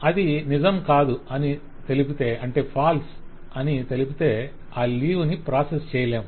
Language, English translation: Telugu, If it is false, then that leave cannot be processed